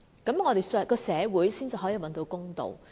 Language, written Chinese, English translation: Cantonese, 這樣我們的社會才可以找到公道。, Only by doing so can justice be found in our society